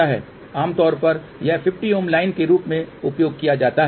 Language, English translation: Hindi, Generally this is used as a 50 ohm line